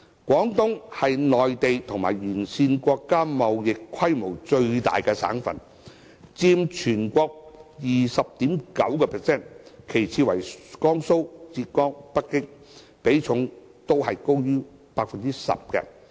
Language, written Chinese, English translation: Cantonese, 廣東是內地和沿線國家貿易規模最大的省份，佔全國 20.9%， 其次為江蘇、浙江、北京，比重均高於 10%。, Moreover among the province - level regions in the country Guangdong registers the largest trade volume with Belt and Road countries constituting 20.9 % of the total volume followed by Jiangsu Zhejiang and Beijing all accounting for over 10 % of the total